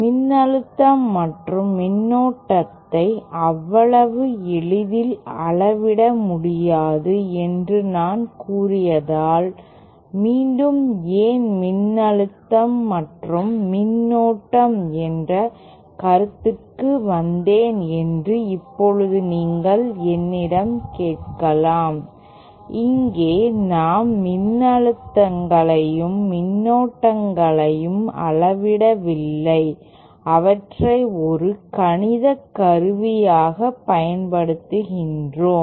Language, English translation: Tamil, Now you might ask me why again I came back to the concept of voltage and current because I had said that voltage and current cannot be measured so easily, well here we are not measuring voltages and currents we are simply using them as a mathematical tool